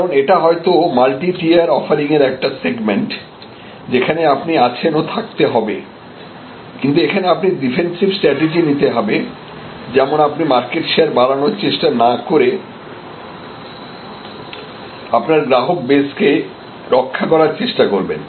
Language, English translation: Bengali, Because, it is one segment in a multi tier offering that you are have and therefore, you need to, but here you will do a defense strategy, which means you will not try to grow your market share, but you will try to protect the customer base that you have